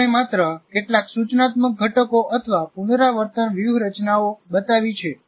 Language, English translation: Gujarati, So we only just shown some of them, some instructional components or rehearsal strategies